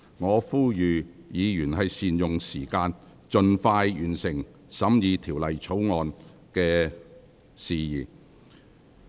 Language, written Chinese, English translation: Cantonese, 我再次呼籲議員善用議會時間，盡快完成審議《條例草案》。, I once again appeal to Members to make the best use of the meeting time of this Council to complete the consideration of the Bill as soon as possible